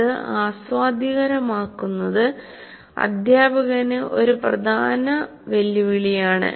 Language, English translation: Malayalam, So obviously to make it interesting presents a great challenge to the teacher